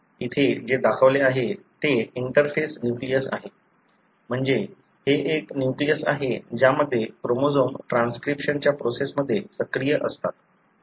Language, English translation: Marathi, What is shown here is an interface nucleus, meaning this is a nucleus, wherein the chromosomes are active in the process of transcription